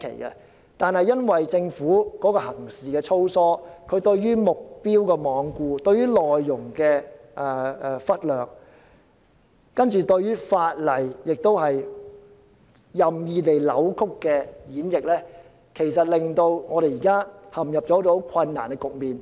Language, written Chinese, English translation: Cantonese, 然而，因為政府行事粗疏，罔顧目標，忽略內容，任意扭曲和演繹法例，才令我們現在陷入困難的局面。, But since the Government has acted in a slipshod manner giving no regard to the purpose and overlooked the content of the Resolution and it has distorted and interpreted the laws arbitrarily we are now caught in a dilemma